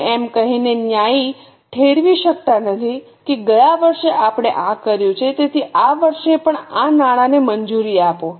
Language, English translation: Gujarati, You cannot justify it by saying that last year we have done this, so this year also sanctioned this money